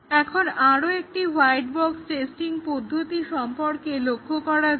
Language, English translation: Bengali, Today we will look at few more white box testing techniques